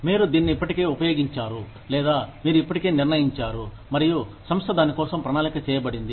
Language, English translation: Telugu, You have already used it, or, you have already decided it, and the company is planned for it